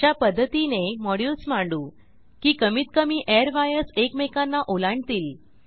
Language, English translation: Marathi, Now we will arrange the modules such that minimum number of airwires cross each other